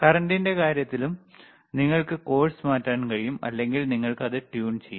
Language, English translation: Malayalam, you can For current also, you can course the changinge or you can fine the tune it